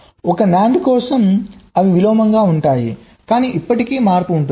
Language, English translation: Telugu, well, for a nand they will be inversion, but still the change will be there